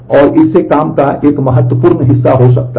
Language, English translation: Hindi, And this can lead to a significant amount of work